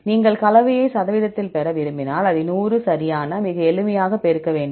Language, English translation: Tamil, If you want to get the composition in percentage, then you have to multiply this with 100 right, very simple